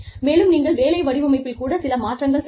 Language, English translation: Tamil, And, you could also make, some changes to the job design